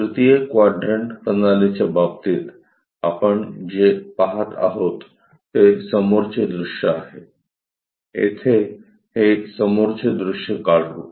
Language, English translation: Marathi, In case of 3rd quadrant systems, what we are going to get is a front view; let us draw it here, a front view